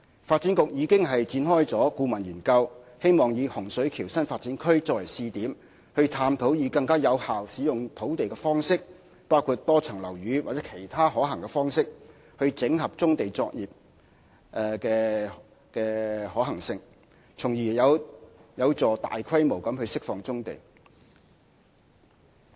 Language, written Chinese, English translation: Cantonese, 發展局已經展開顧問研究，希望以洪水橋新發展區作為試點，探討更有效使用土地的方式，包括多層樓宇或其他可行的方式，整合棕地作業的可行性，從而有助大規模釋放棕地。, The Development Bureau has already commissioned a study in the hope of taking the Hung Shui Kiu New Development Area as a pilot area for exploring a more efficient way to use the land such as examining the feasibility of consolidating brownfield operations in multi - storey compounds or other feasible ways so as to enable a large - scale release of brownfield sites